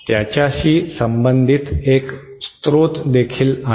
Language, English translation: Marathi, There is also a source kind of associated with it